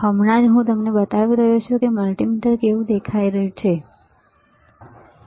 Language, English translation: Gujarati, Just now I am just showing it to you this is how a multimeter looks like, all right